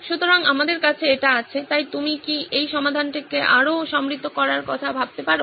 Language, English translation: Bengali, So we have that, so can you think of that to make this solution richer